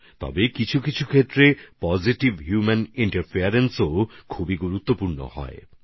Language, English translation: Bengali, However, in some cases, positive human interference is also very important